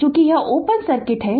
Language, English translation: Hindi, As this is your open circuit